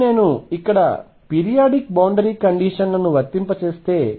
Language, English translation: Telugu, Now, if I applied the periodic boundary conditions here